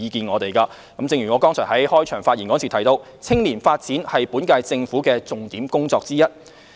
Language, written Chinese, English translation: Cantonese, 我剛才在開場發言提到，青年發展是本屆政府的重點工作之一。, I mentioned in my opening speech that youth development is one of the priority policy areas of the current - term Government